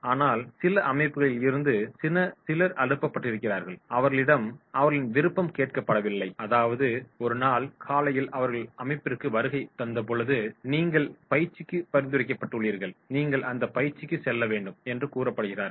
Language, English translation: Tamil, But in some organisations, you will find that is they have been sent, they have not been asked to, they will come one day one morning that is you are nominated for training and you have to go for that training